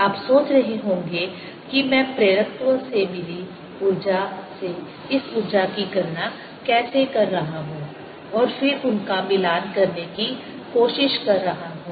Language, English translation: Hindi, you may be wondering how energy from that i am getting in inductance and then trying to match them